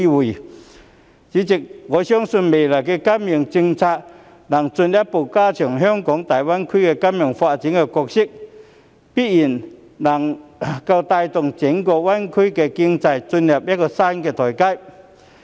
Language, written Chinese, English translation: Cantonese, 代理主席，我相信未來的金融政策能進一步加強香港在大灣區金融發展的角色，並且必然能夠帶動整個灣區經濟進入一個新台階。, Deputy President I believe that in the future financial policies can further strengthen Hong Kongs role in the financial development of GBA and definitely drive the entire GBA economy to a new level